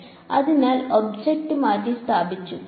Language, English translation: Malayalam, So object is replaced ok